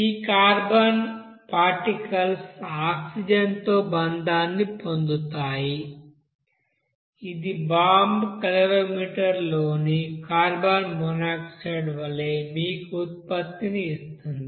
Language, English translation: Telugu, This carbon particles will be bond with oxygen, which will give you that product as carbon monoxide in the bomb calorimeter